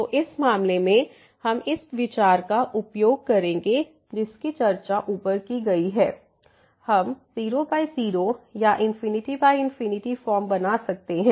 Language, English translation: Hindi, So, in this case we will use this idea which is discussed above that we can make either 0 by 0 or infinity by infinity form